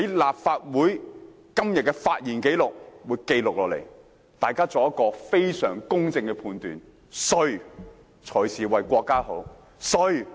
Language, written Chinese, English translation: Cantonese, 立法會今天的發言紀錄會記錄下來，大家可以作出非常公正的判斷，誰才是為國家好，誰才是為香港好。, Todays speaking records in the Legislative Council will be kept for record . May we all make a very fair judgment as to who is doing things for the good of the country and who is doing things for the good of Hong Kong